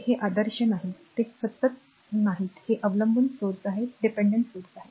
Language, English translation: Marathi, So, these are not ideal these are not constant these are dependent sources